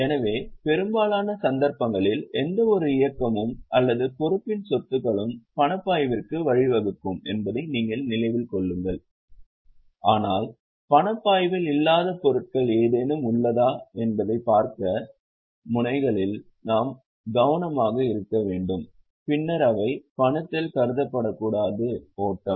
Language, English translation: Tamil, So, keep in mind that in most cases, any moment or asset of liability will lead to cash flow, but we also have to be careful in the notes to see whether there are any non cash flow items, then they should not be considered in the cash flow